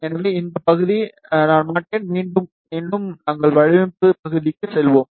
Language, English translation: Tamil, So this part, I will not repeat again, we will just simply go for the design part